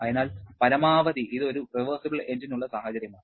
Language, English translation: Malayalam, So, the maximum and this is a situation for a reversible engine